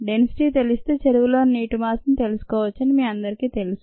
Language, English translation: Telugu, all of you know that if we know the density, we can find out the mass of the water in the tank